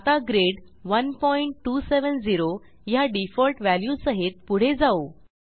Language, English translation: Marathi, For now, we will go ahead with the default value that is Grid 1.270